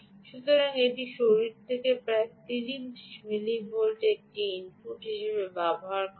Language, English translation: Bengali, so it gives as an input of about thirty millivolts ah at the from the body